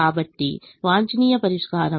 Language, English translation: Telugu, so optimum solution is: z is equal to eighteen for this